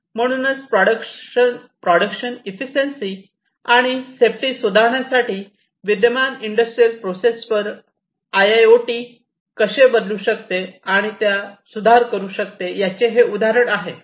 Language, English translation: Marathi, So, this is the example of how IIoT can transform, and improve upon the existing industrial processes for improving the productivity and efficiency and safety, as well